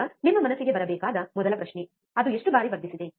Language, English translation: Kannada, Now, the first question that should come to your mind is, it amplified how many times